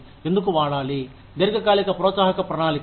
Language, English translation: Telugu, Why use, long term incentive plans for